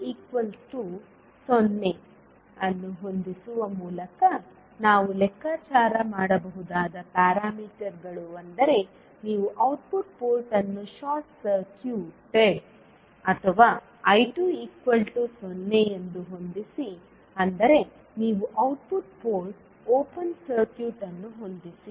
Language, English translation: Kannada, The parameters we can calculate by setting V 2 is equal to 0 that means you set the output port as short circuited or I 2 is equal to 0 that means you set output port open circuit